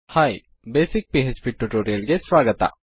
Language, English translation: Kannada, Hi and welcome to a basic PHP tutorial